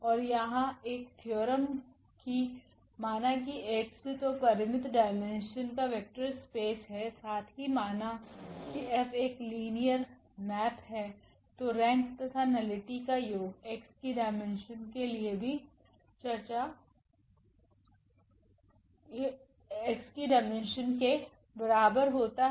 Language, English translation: Hindi, And there is a theorem that let X be a vector space of finite dimension then and let this F be a linear map then this rank plus nullity is equal to dimension of X